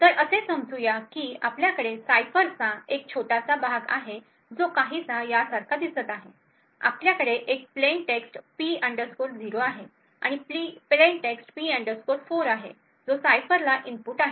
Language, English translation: Marathi, So, let us say that we have a small part of the cipher which looks something like this, we have a plain text P 0 and a plain text P 4 which is the input to the cipher